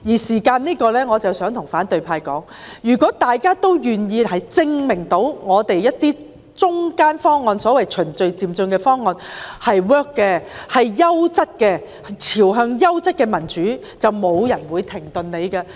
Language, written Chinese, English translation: Cantonese, 就此，我想對反對派說，如果大家都願意證明一些中間方案，即所謂循序漸進的方案是可行、優質的，可邁向優質的民主，便沒有人會要求停止。, In this regard I wish to tell the opposition camp that if we are willing to prove that a certain middle - of - the - road proposal that means the progressive proposal so to speak is feasible and superb leading to top - notch democracy no one will request that it be stopped